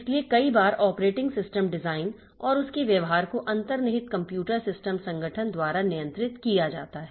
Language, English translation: Hindi, So, many a time so the operating system design and its behavior is governed by the underlying computer system organization